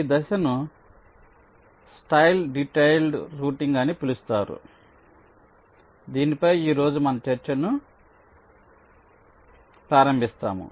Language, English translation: Telugu, this step is called detailed routing and we shall be starting our discussion on this today